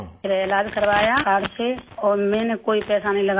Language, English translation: Hindi, Then I got the treatment done by card, and I did not spend any money